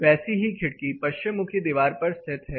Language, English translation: Hindi, The same window located on a west facing wall